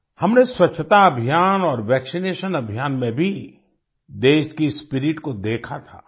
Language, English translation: Hindi, We had also seen the spirit of the country in the cleanliness campaign and the vaccination campaign